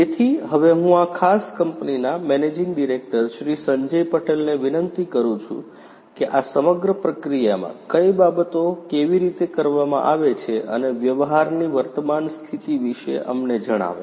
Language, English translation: Gujarati, Sanjay Patel the managing director of this particular company to talk about the entire process, you know what things are done how it is done and the current state of the practice